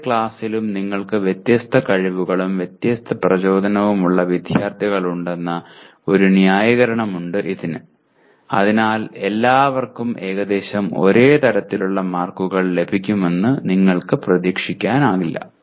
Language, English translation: Malayalam, This has a justification that in any class you have students of different abilities, different motivations, so you cannot expect all of them to have roughly the same kind of marks